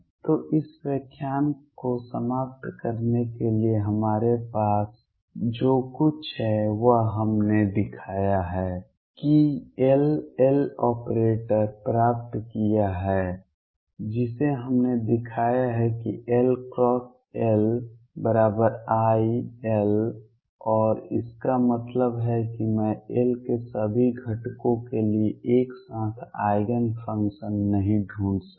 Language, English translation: Hindi, So, just to conclude this lecture what we have is we have shown derive the L, L operator that we have shown that L cross L is i L and that means, that I cannot find simultaneous eigen functions for all components of L